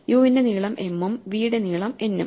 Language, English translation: Malayalam, So, this should be m and this should be n